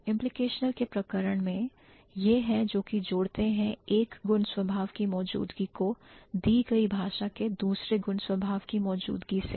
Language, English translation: Hindi, So, in case of implicational universals, these are the ones which relate the presence of one property to the presence of some other property of a given language